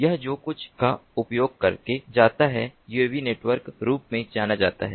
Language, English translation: Hindi, this is done using something known as the uav network